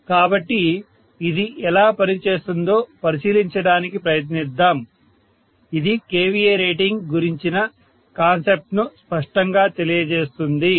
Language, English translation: Telugu, So let us try to take a look at this as to how this works, hopefully this will clarify the concept about the kVA rating, right